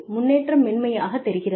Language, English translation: Tamil, And, the progression seems smoother